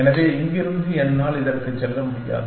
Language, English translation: Tamil, So, from here I cannot go to this